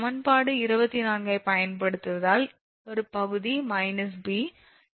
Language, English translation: Tamil, Next, is using equation 24 because next part is a part – b